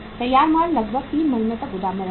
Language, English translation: Hindi, Finished goods will stay in warehouse for about 3 months